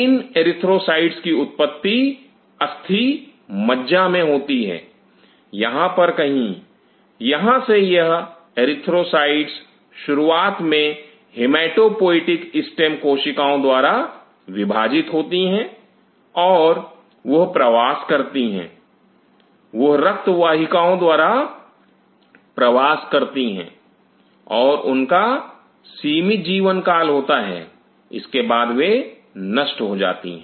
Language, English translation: Hindi, These erythrocytes have their origin in the bone marrow somewhere out here, from here these erythrocytes initially they divide from hematopoietic stem cells and they migrate and they migrate through the blood vessels and they have a limited life is span afterward it gets destroyed